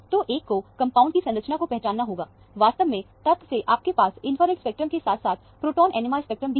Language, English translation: Hindi, So, one has identified the structure of the compound, essentially from the fact that, you have an infrared spectrum, as well as the proton NMR spectrum